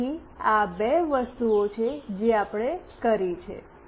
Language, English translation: Gujarati, So, these are the two things that we have done